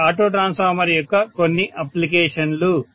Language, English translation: Telugu, So these are some of the applications of auto transformer